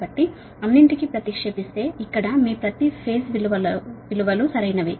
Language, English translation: Telugu, so substitute all this your per phase values, right